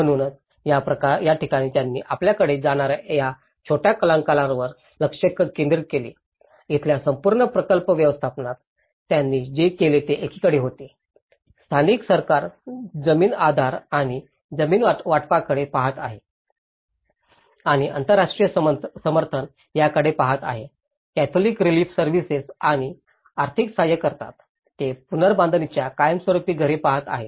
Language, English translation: Marathi, So, this is where they focused on these small actors you know, in the whole project management here, what they did was on one side, the local government is looking at the land support and the land allocation and the international support is looking at the Catholic Relief Services financial support and they are looking at the permanent houses of reconstruction